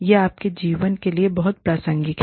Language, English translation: Hindi, This is something, very relevant to your lives